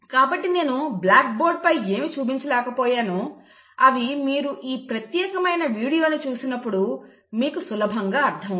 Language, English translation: Telugu, So whatever I could not do it on the blackboard will be easily understood by you when you watch this particular video